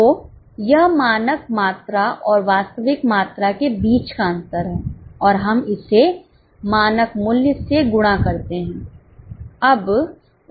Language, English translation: Hindi, So, it is a difference between standard quantity and actual quantity and we multiply it by standard price